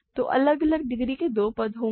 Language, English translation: Hindi, So, there will be two terms of different degrees